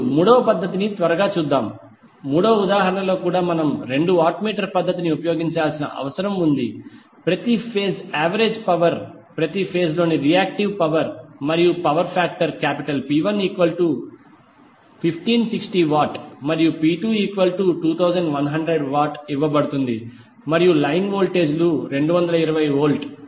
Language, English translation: Telugu, Now, let us see quickly the third method also, third example also where we need to use the two watt meter method to find the value of per phase average power, per phase reactive power and the power factor P 1 and P 2 is given and the line voltages T 220 volt